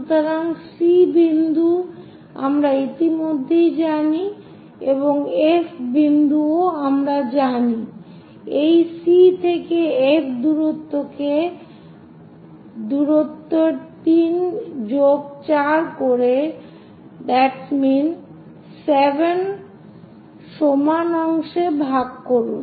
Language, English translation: Bengali, So, C point we know already and F point also we know divide this C to F distance into 3 plus 4 7 equal parts so this 3 plus 4 comes because of eccentricity